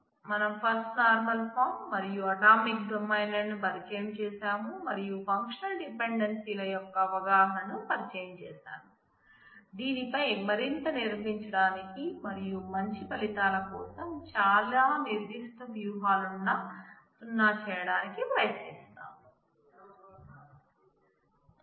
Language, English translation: Telugu, We are familiarized with the First Normal Form and atomic domains and we have introduced the notion of functional dependencies on which we will build up more and try to get zeroing very concrete strategies for good results